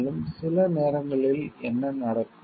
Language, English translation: Tamil, And also sometimes what happens